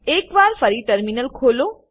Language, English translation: Gujarati, Open the Terminal once again